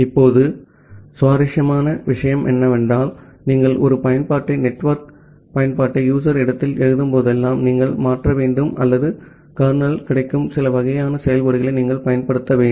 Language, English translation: Tamil, Now, interestingly what we will see that whenever you will write a application, network application at the user space, you have to transfer or you have to use certain kind of functionalities which are available at the kernel